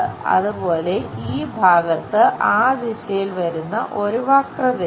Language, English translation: Malayalam, Similarly, this portion have a curve comes in that direction